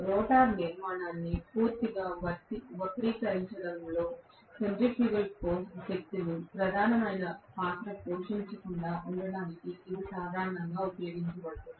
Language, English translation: Telugu, That is how it is used normally, so that the centrifugal forces do not play a major role especially in deforming the rotor structure completely